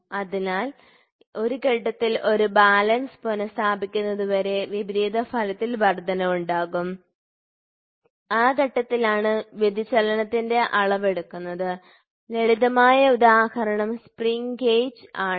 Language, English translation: Malayalam, So, there is an increase in the opposing effect until a balance is restored at which stage the measurement of the deflection is carried out and the simple example is the spring gauge